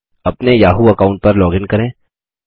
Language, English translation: Hindi, Lets close the yahoo account